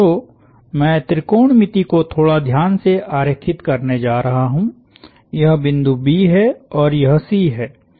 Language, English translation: Hindi, So, I am going to draw the trigonometry a little carefully, this is my B, this is my C